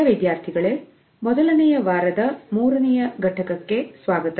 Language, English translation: Kannada, Dear participants, welcome to the third module of 1st week